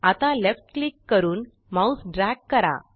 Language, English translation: Marathi, Now left click and drag your mouse